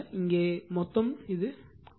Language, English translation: Tamil, So, this is 0